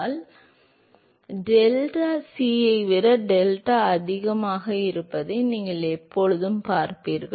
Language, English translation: Tamil, If Prandtl number is greater than 1, you will always see that delta is greater than delta c